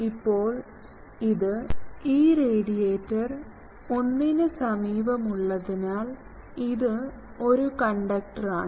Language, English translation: Malayalam, Now, since this is nearby this radiator 1, because this is a conductor